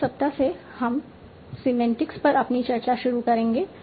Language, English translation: Hindi, So from the next week we will start our discussions on semantics